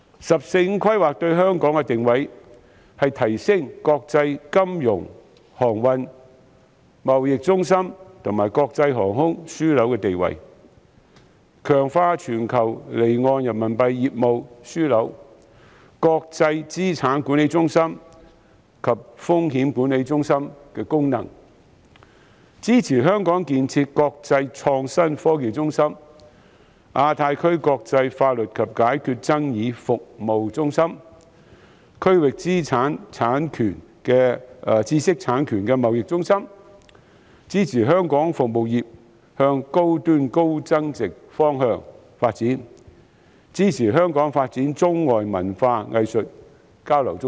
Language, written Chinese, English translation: Cantonese, "十四五"規劃對香港作出的定位是提升國際金融、航運及貿易中心和國際航空樞紐的地位；強化全球離岸人民幣業務樞紐、國際資產管理中心及風險管理中心的功能；支持香港建設國際創新科技中心、亞太區國際法律及解決爭議服務中心、區域知識產權貿易中心；支持香港服務業向高端及高增值的方向發展；支持香港發展中外文化藝術交流中心。, According to the positioning of Hong Kong as set out in the 14th Five - Year Plan there will be support for Hong Kong to enhance its status as international financial transportation and trade centres as well as an international aviation hub; strengthen its status as a global offshore Renminbi business hub and its role as an international asset management centre and a risk management centre; develop into an international innovation and technology hub establish itself as a centre for international legal and dispute resolution services in the Asia - Pacific region and develop into a regional intellectual property trading centre; promote service industries for high - end and high value - added development; develop into a hub for arts and cultural exchanges between China and the rest of the world